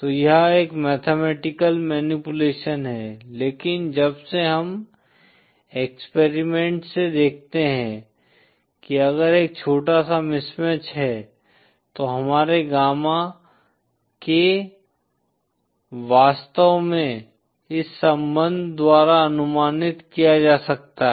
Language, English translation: Hindi, So it’s a mathematical manipulation, but since we see from experiments that if there is a small mismatch, our gamma k indeed can be approximated by this relationship